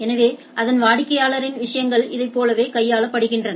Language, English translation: Tamil, So, its customer’s things are handled like this right